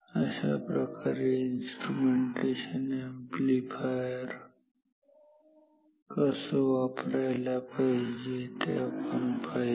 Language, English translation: Marathi, This is how to use a instrumentation amplifier